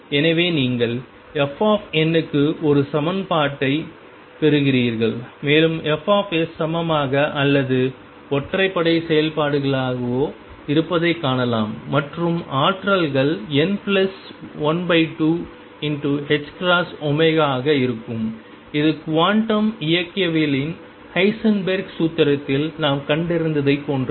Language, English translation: Tamil, So, you derive an equation for f n and find fs to be either even or odd functions an energies come out be n plus one half h cross omega which is exactly the same that we found in Heisenberg formulation of quantum mechanics